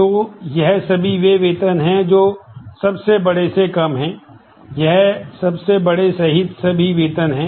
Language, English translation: Hindi, So, this is all salaries which are less than largest, this is all salaries including the largest